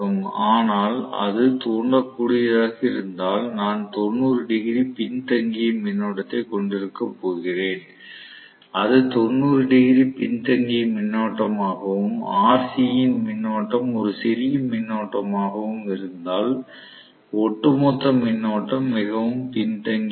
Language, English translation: Tamil, But if it is inductive, I am going to have 90 degree lagging current and if it is 90 degree lagging current and RC current is a small current then overall current is going to be extremely lagging